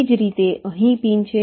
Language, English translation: Gujarati, similarly, there are pins here